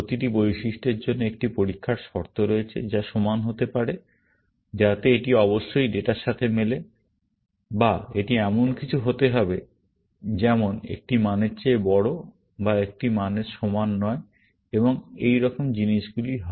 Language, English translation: Bengali, For every attribute, there is a test condition, which could be equality that it must match the data, or it must be something, like greater than a value, or not equal to a value and things like that